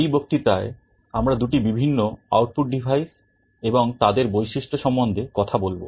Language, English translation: Bengali, In this lecture we shall be talking about 2 different output devices, some of their characteristics